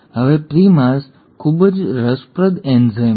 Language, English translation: Gujarati, Now primase is a very interesting enzyme